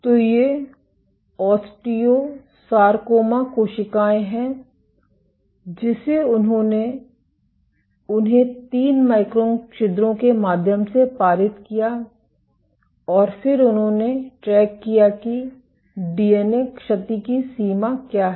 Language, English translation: Hindi, So, these are osteosarcoma cells they passed them through the3 micron pores and then they tracked what is the extent of DNA damage